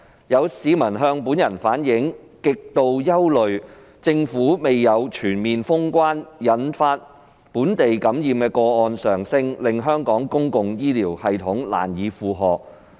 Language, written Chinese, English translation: Cantonese, 有市民向本人反映，極度憂慮政府未有"全面封關"將引發本地感染的個案上升，令香港公共醫療系統難以負荷。, Some members of the public have relayed to me that they are gravely worried that the Governments failure to completely close all boundary control points will lead to a rise in locally infected cases thereby imposing an unbearable burden on Hong Kongs public health care system